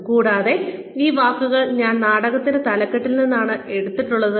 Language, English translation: Malayalam, And, I have taken these words, from the title of the play